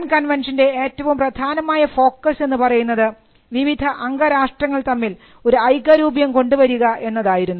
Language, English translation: Malayalam, The Berne conventions primary focus was on having uniformity amongst the different members